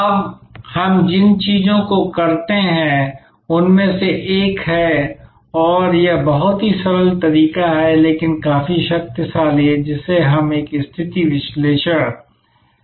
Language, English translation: Hindi, Now, one of the things we do and it is very simple approach, but quite powerful is what we do we call a situation analysis